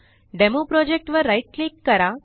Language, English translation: Marathi, DemoProject has been created